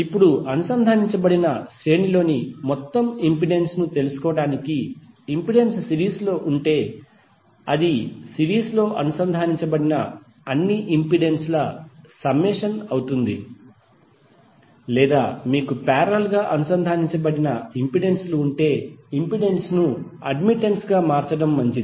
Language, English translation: Telugu, Now, law of in impedance is in series and parallel are like when you want to find out the total impedance in a series connected it will be summation of all the impedances connected in series or if you have the parallel connected then better to convert impedance into admittance